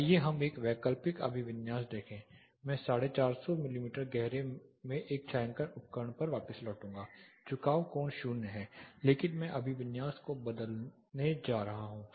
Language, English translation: Hindi, Let us look at an alternate orientation I will revert back to one shading device in 450 mm deep the tilt angle is 0, but I am going to change the orientation